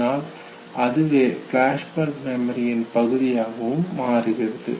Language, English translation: Tamil, And that is called as flashbulb memory